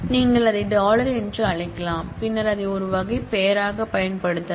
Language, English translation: Tamil, you can call it dollar and then use that as a type name